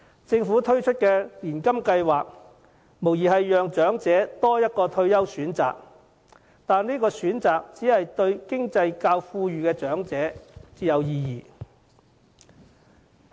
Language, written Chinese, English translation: Cantonese, 政府推出年金計劃，無疑給長者多一個退休選擇，但這選擇只對較富裕的長者有意義。, The implementation of an annuity scheme by the Government undoubtedly offers elderly persons another retirement option . Yet it is an option that is meaningful only to elderly persons with means